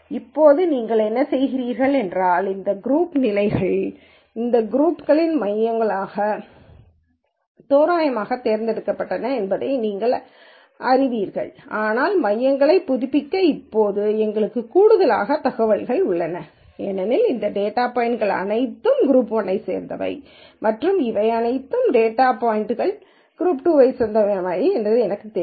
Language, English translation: Tamil, Now, what you do is, you know that these group positions are the centres of these groups were randomly chosen now, but we have now more information to update the centres because I know all of these data points belong to group 1 and all of these data points belong to group 2